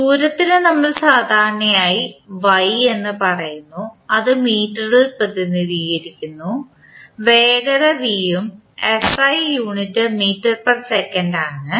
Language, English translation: Malayalam, For distance we generally say small y which is represented in meter, velocity is small v and the SI unit is meter per second